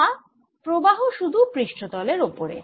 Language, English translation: Bengali, so this is only on the surface